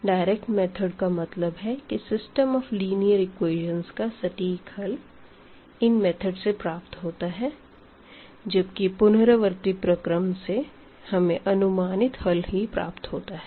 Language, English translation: Hindi, The direct methods meaning that we get actually the exact solution of the system using these techniques whereas, here the iterative methods the they give us the approximate solution of the given system of equation